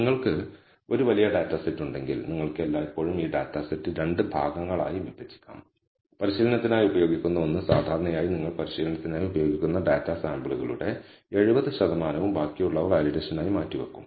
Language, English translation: Malayalam, So, if you have a large data set, then you can always divide this data set into 2 parts; one used for training typically 70 percent of the data samples you will use for training and the remaining, you will set apart for the validation